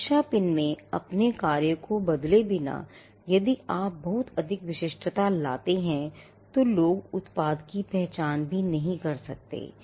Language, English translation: Hindi, Safety pin without actually changing its function or if you make bring too much uniqueness people may not even identify the product